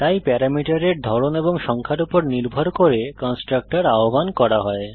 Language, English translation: Bengali, So depending on the type and number of parameter, the constructor is called